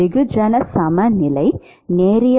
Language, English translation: Tamil, mass balance is linear